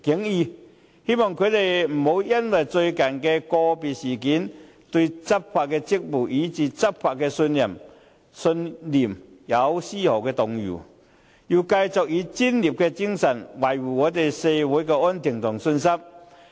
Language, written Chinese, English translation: Cantonese, 我希望他們不要因最近發生的個別事件，對執法職責，以至執法的信念，出現絲毫動搖，而能夠繼續以專業精神，維護社會安定和市民的信心。, I hope their sense of responsibility towards and belief in law enforcement will not waver the slightest bit because of the occurrence of the isolated incidents lately . Instead they can continue to demonstrate their professionalism and safeguard social stability and public confidence